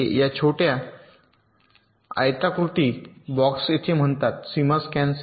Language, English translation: Marathi, these are the so called boundary scan cells